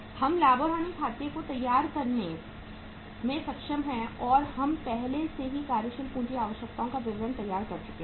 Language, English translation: Hindi, We are able to prepare the profit and loss account and we are already we have prepared the working capital requirements statement